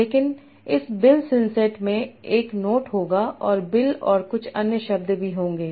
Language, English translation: Hindi, But this bill since set will contain note and also contains bill and some other words